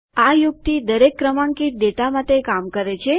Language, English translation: Gujarati, This trick works for all data that are sequential